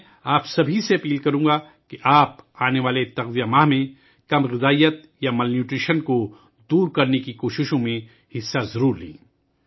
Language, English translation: Urdu, I would urge all of you in the coming nutrition month, to take part in the efforts to eradicate malnutrition